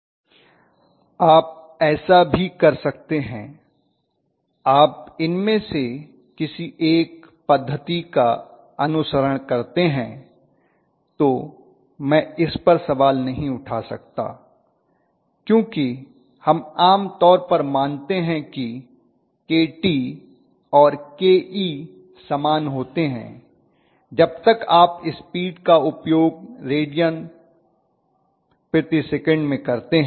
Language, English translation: Hindi, You can do that too, so that Is I am telling you as long as follow one of these methodology I cannot question it right, because we normally assume that Kt and Ke are the same as long as you use the speed in radius per second right, so that is fine, okay, is it fine